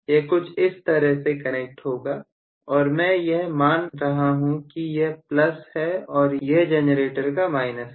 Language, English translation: Hindi, This is how it will be connected, and I am assuming that this is plus, and this is minus of the generator